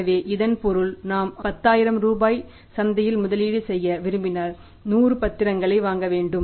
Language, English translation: Tamil, So it means means if we want to invest 10,000 in the market we have to buy the 100 securities